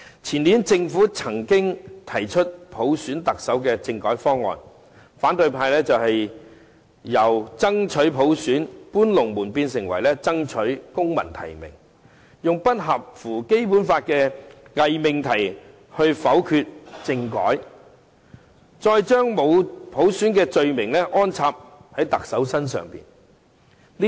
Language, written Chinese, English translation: Cantonese, 前年政府曾經提出普選特首的政改方案，但反對派卻"搬龍門"，由"爭取普選"變成"爭取公民提名"，用不符合《基本法》的偽命題來否決政改，再將沒有普選的罪名安插在特首身上。, The Government did introduce a constitutional reform proposal in the year before last which involved electing the Chief Executive by universal suffrage yet the opposition applied double standard shifting their demand from universal suffrage to civil nomination and subsequently voted down the reform under the false proposition that the proposal did not comply with the Basic Law . Then they went on blaming the Chief Executive for the failure to implement universal suffrage